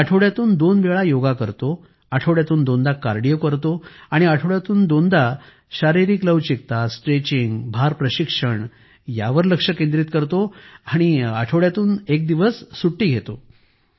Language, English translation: Marathi, I do yoga two times a week, I do cardio two times a week and two times a week, I focus on flexibility, stretching, weight training and I tend to take one day off per week